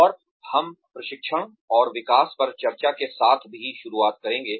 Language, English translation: Hindi, And, we will also start with, the discussion on training and development